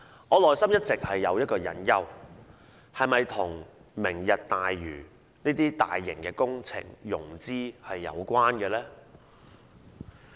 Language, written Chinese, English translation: Cantonese, 我內心一直有個疑問：決議案是否與"明日大嶼"等大型工程的融資有關呢？, A question has been lingering on my mind Does the resolution have something to do with financing large - scale works projects such as Lantau Tomorrow?